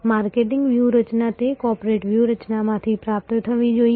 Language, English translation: Gujarati, The marketing strategy must be derived out of that corporate strategy